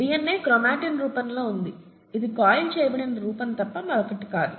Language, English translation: Telugu, And, so DNA exists in what is called a chromatin form which is nothing but this coiled form, okay